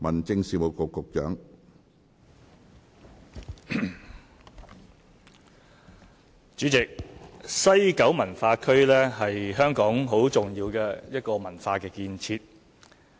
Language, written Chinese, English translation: Cantonese, 主席，西九文化區是香港很重要的一個文化建設。, President the West Kowloon Cultural District WKCD is an important cultural project of Hong Kong